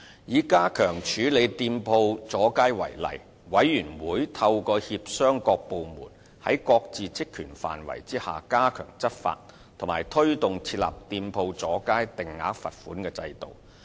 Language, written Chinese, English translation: Cantonese, 以加強處理店鋪阻街為例，委員會透過協商各部門在各自職權範圍內加強執法，以及推動設立店鋪阻街定額罰款制度。, Take the enhancement measures to tackle shop front extensions as an example . The Committee has urged various departments to step up law enforcement in their respective purviews through negotiation and promoted the introduction of a fixed penalty system against shop front extensions